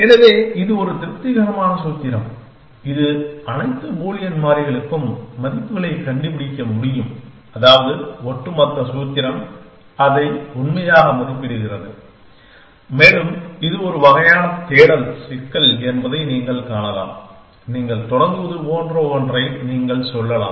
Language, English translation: Tamil, So, that is a satisfiability formula, which says that can you find values for all the Boolean variables such that the overall formula evaluates it true and obviously you can see that this is a kind of search problem you can say something like you start